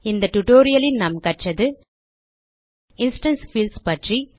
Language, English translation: Tamil, So in this tutorial, we learnt About instance fields